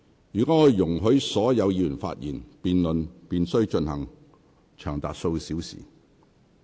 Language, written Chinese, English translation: Cantonese, 若我容許所有議員發言，辯論便須進行長達數小時。, If I allow all Members to speak the debate will have to carry on for several hours